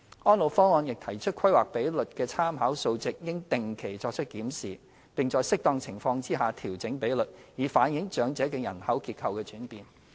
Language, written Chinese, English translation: Cantonese, 《安老方案》亦提出規劃比率的參考數值應定期作出檢視，並在適當情況下調整比率，以反映長者的人口結構轉變。, ESPP has also proposed that the planning ratios should be reviewed from time to time and where appropriate be adjusted to reflect the changing demographic structure of the elderly population